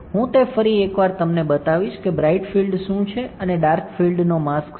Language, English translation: Gujarati, I will show it to you once again what is bright field and what is dark field mask